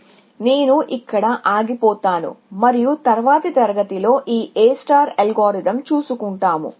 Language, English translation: Telugu, So, I will stop here and we will take this A star algorithm, up in the next class